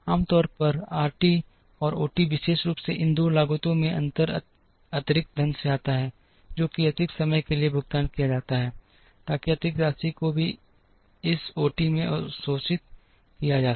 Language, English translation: Hindi, Normally, RT and OT particularly the difference in these 2 costs comes from the additional money that is paid to work overtime, so that the additional amount also has to be absorbed here in this O t